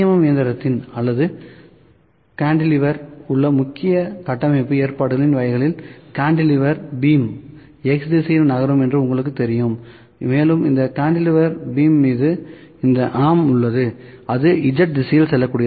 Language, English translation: Tamil, M machine or cantilever, you know this is a cantilever beam the cantilever beam is moving in X direction, cantilever beam can move in X direction and on this cantilever beam we have this arm that can move in Z direction